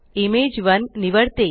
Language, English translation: Marathi, So, I will choose Image1